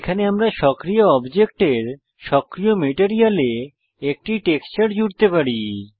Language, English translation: Bengali, Here we can add a texture to the active material of the active object